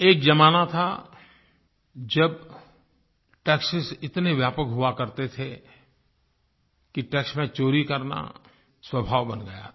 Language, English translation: Hindi, There was a time when taxes were so pervasive, that it became a habit to avoid taxation